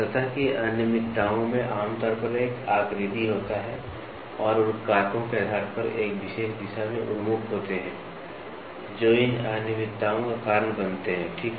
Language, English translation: Hindi, The surface irregularities generally have a pattern and are oriented in a particular direction depending on the factors that causes these irregularities in the first place, ok